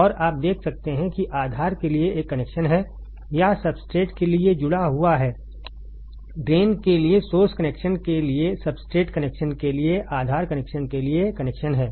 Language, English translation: Hindi, And you can see here there is a connection for the base or is connected for the substrate, connection for the base connection for the substrate connection for source connection for drain